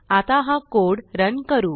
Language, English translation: Marathi, Lets now Run this code